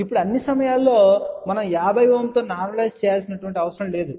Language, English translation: Telugu, Now, all the time, we do not have to normalize with 50 Ohm